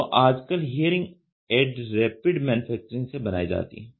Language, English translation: Hindi, So, today hearing aids are made by Rapid Manufacturing